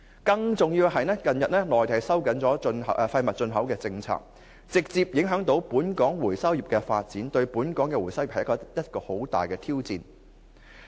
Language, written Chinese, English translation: Cantonese, 更重要是，內地近日收緊廢物進口政策，直接影響本港回收業的發展，對本港回收業而言，這是一大挑戰。, More importantly the Mainland has tighten up waste import which has directly affected the development of the local recovery sector posing a huge challenge to the practitioners